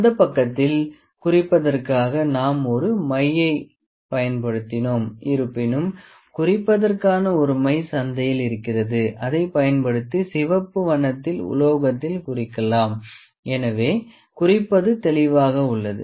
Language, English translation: Tamil, On that side what for marking we have used an ink; however, there are there is an ink available in the market for a metal marking, but we have just used this marker to mark it to produce this red colour